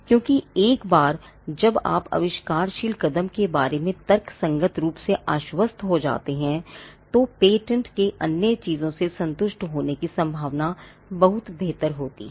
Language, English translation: Hindi, Because once you are reasonably confident about the inventive step, then the chances of the patent being granted other things being satisfied are much better